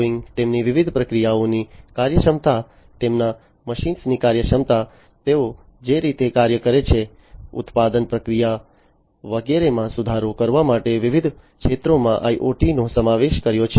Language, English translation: Gujarati, Boeing also has incorporated IoT in different sectors, for improving the efficiency of their different processes, the efficiency of their machines the way they operate, the, the production process, and so on